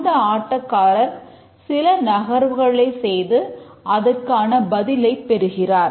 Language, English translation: Tamil, The player enters move and receives the response